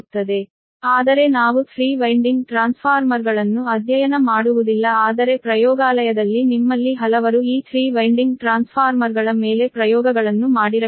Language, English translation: Kannada, so, but although we will not study here three winding transformers, but in laboratory, many of you might have done experiments on these three winding transformers